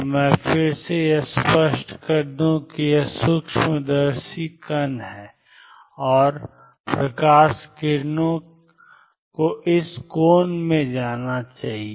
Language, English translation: Hindi, So, again let me make it to make it clear it is the microscope it is the particle and the light rays should go into this angle